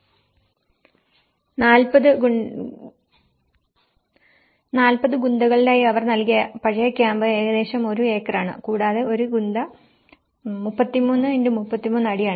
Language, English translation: Malayalam, The old camp they have given about each in a 40 Gunthas is about 1 acre and 1 Guntha is about 33 by 33 feet